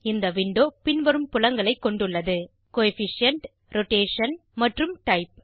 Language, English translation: Tamil, This window contains fields like Coefficient, Rotation and Type